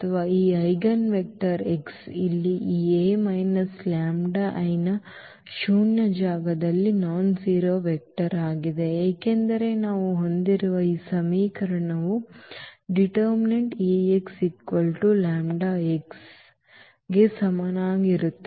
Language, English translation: Kannada, Or, this eigenvector x here is a nonzero vector in the null space of this A minus lambda I, because this equation which we have a is equal to l Ax is equal to lambda x